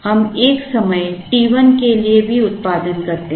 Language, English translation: Hindi, We also produce for a time t1